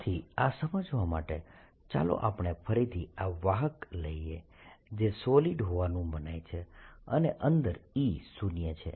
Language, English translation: Gujarati, so to understand this, let us again take this conductor, which is supposed to be solid and e zero inside